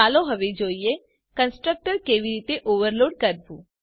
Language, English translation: Gujarati, Let us now see how to overload constructor